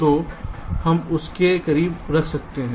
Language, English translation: Hindi, so this we shifted to here